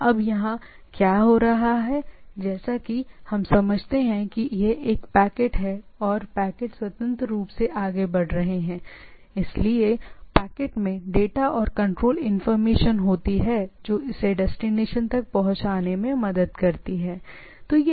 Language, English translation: Hindi, Now here what is happening as we understand that it is as it is a packet and packets are moving independently, so the packet contains the data and some control information which helps it in get routed to the destination, right